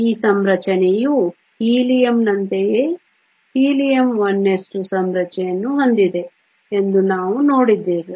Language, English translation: Kannada, This configuration is a same as in the case of Helium we saw that Helium has a 1 s 2 configuration